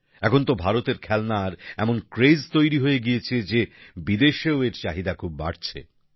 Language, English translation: Bengali, Nowadays, Indian toys have become such a craze that their demand has increased even in foreign countries